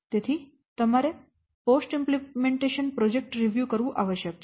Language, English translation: Gujarati, And then you have to prepare a post implementation review report